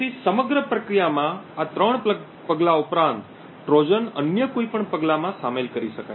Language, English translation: Gujarati, So, besides these three steps in the entire process Trojans can be inserted in any of the other steps